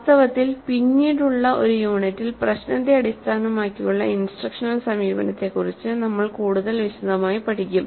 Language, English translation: Malayalam, In fact, in a later unit we'll study the problem based approach to instruction in greater detail